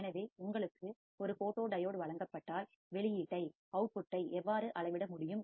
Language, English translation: Tamil, So, if you are given a photodiode, how can you measure the output